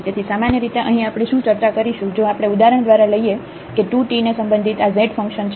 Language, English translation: Gujarati, So, here what basically we will be discussing here, if we want to get for example, the derivative of this z function with respect to 2 t